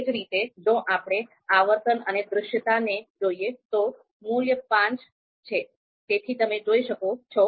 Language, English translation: Gujarati, So if similarly if we look at frequency and visibility, so this value is five